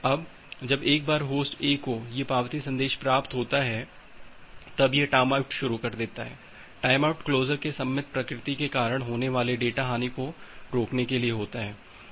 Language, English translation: Hindi, Now, once Host A receive these acknowledgement message it starts a timeout, this timeout is to prevent these data loss due to the symmetric nature of the closure